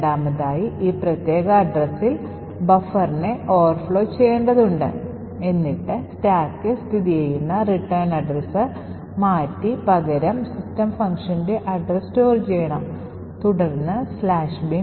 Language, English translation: Malayalam, Second we need to overflow the buffer with this particular address so that the written address located on the stack is replaced by the address of system